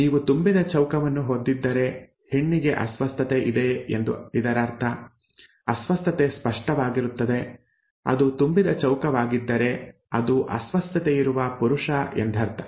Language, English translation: Kannada, If you have a filled square it means that the female has the disorder, the disorder is apparent; if it is a filled square it is a male with the disorder